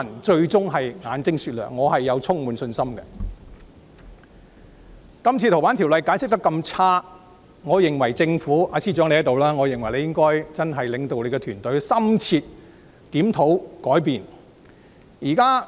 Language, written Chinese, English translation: Cantonese, 這次《逃犯條例》修訂的解釋工作非常不濟，我認為政府——司長現時也在席——我認為他應領導政府團隊進行深切檢討，改變做事方式。, Given the dismal explanatory work carried out in respect of the FOO amendment I think the Government―the Chief Secretary for Administration is present at the moment―I think he should lead the government team to conduct an in - depth review and change their practice